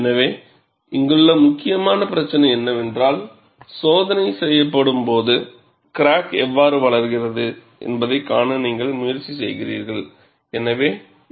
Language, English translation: Tamil, So, the key issue here is, you are also making an attempt, to see how the crack grows, when the test is being performed